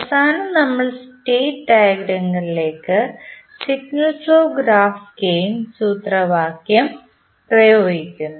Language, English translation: Malayalam, And then we finally apply the signal flow graph gain formula to the state diagram